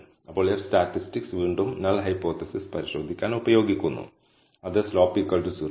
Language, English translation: Malayalam, Now the F statistic is again used to test the null hypothesis which is nothing, but slope equal to 0